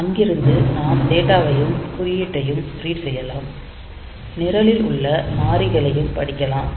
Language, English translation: Tamil, So, we do not write there we just read the data we just read the code from there and the constants that we have in the program